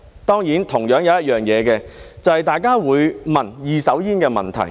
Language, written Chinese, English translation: Cantonese, 當然，還有一點，就是大家會問二手煙的問題。, Of course another point which people will raise is the question about second - hand smoke